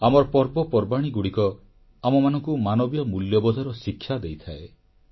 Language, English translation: Odia, Our festivals, impart to us many social values